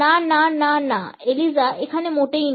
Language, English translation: Bengali, No no no no Eliza no here at all